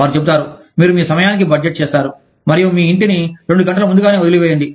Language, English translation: Telugu, They will say, you budget it in your time, and leave your house, two hours early